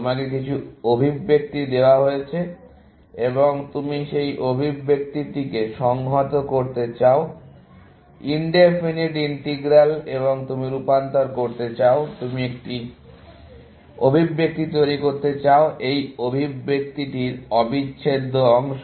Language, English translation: Bengali, That you are given some expression, and you want to integrate that expression, in definite integral and you want to convert, you want to produce a expression, which is the integral of this expression, essentially